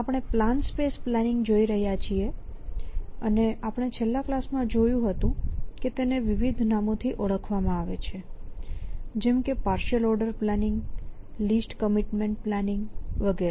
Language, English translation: Gujarati, So, we are looking at plan space planning and its known as we discuss in the last class by various names partial out of planning, lease commitment planning